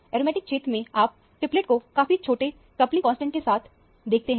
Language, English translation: Hindi, In the aromatic region, you see a triplet with a very small coupling constant